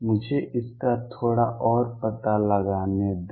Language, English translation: Hindi, Let me explore that a bit more